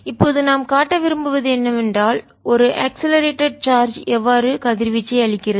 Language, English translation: Tamil, so now what we want to show is: and accelerating charge gives out radiation